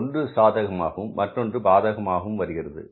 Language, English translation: Tamil, 1 is the favorable and another is the unfavorable